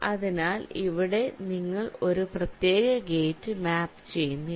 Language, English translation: Malayalam, so here you are not mapping of particular gate like